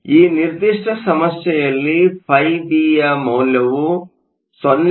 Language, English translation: Kannada, In this particular problem is given φB is 0